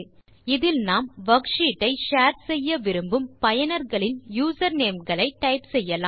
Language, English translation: Tamil, Click the link and we get a box where we can type the usernames of users whom we want to share the worksheet with